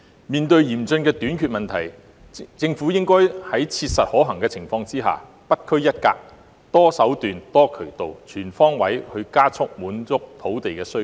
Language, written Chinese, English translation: Cantonese, 面對嚴峻的土地短缺問題，政府應該在切實可行的情況下不拘一格，多手段、多渠道、全方位地加快滿足土地需求。, Facing acute land shortage the Government should expeditiously meet the demand for land in an eclectic and multi - faceted manner on all fronts as far as practicable